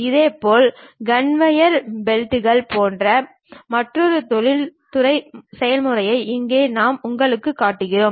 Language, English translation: Tamil, Similarly, here I am showing you another industrial process, something like conveyor belts